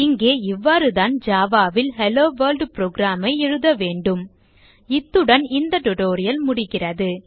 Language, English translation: Tamil, And here is how we write a HelloWorld program in Java This brings us to the end of the tutorial